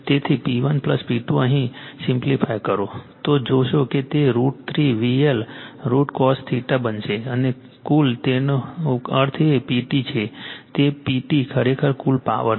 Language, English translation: Gujarati, So, P 1 plus P 2 and simplified , you will see it will become root 3 V L I L cos theta , and total that means, P T is P T actually is a total power